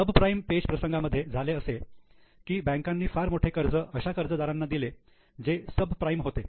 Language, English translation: Marathi, In subprime crisis, bankers gave lot of loans to those borrowers which were subprime